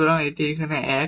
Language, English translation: Bengali, So, this is 1 here